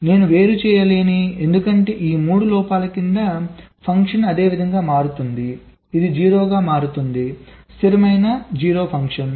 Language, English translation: Telugu, i cannot distinguish, because under the each of these three faults the function changes in a same way: it is becoming zero, a constant zero function